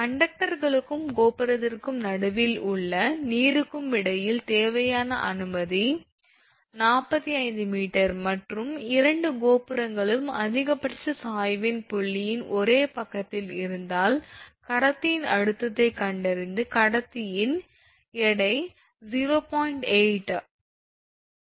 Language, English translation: Tamil, If the required clearance between the conductors and the water midway between the tower is 45 meter and if both the towers are on the same side of the point of maximum sag, find the tension in the conductor the weight of the conductor is given 0